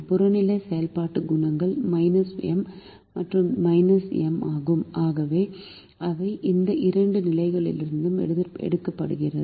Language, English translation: Tamil, the objective function coefficients are minus m and minus m, which are taken from these two positions